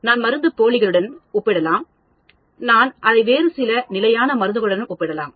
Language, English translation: Tamil, I may compare with placebo; I may compare it with some other standard method